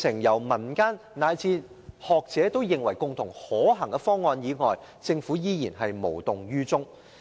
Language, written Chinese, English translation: Cantonese, 在民間及學者提出可行的方案後，政府依然無動於衷。, After the community and scholars put forth certain feasible proposals the Government has remained indifferent